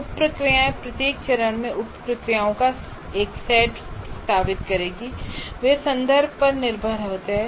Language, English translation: Hindi, The sub processes, now what happens is we will be proposing a set of sub processes in each phase and they are context dependent